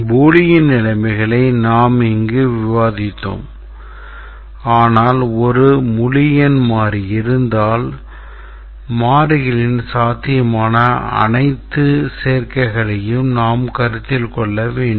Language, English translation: Tamil, These are bullion conditions but then if there is a variable then we have to consider all possible combinations of the variables